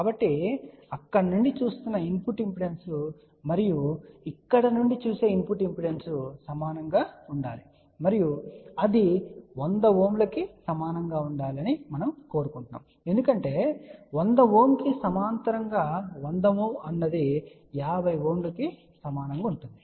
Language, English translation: Telugu, So, what we really want that the input impedance looking from here and input impedance looking from here should be equal and that should be equal to 100 ohm because, then we can say a 100 ohm in parallel with the 100 ohm will be equal to 50 ohm